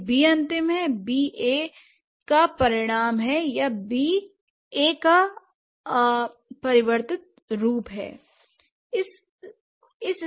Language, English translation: Hindi, If B is final, so B is the result of A or B is the changed form of A